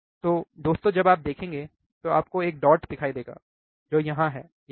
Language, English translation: Hindi, So, guys when you see, close you will see a dot which is here, right here